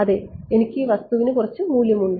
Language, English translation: Malayalam, Yeah I have some value of the thing